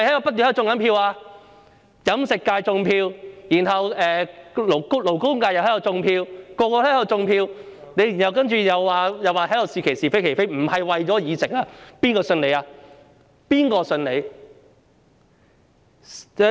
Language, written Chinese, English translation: Cantonese, 包括在飲食界和勞工界，所有人都在"種票"，然後他卻在這裏說"是其是，非其非"，並不是為了議席，誰會相信他？, All of them are engaging in vote - rigging for constituencies including the Catering Functional Constituency and the Labour Functional Constituency . But then he claims that they would affirm what is right and condemn what is wrong here and they are not doing so for the seats who will believe him?